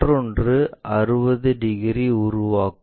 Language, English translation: Tamil, The other one is making 60 degrees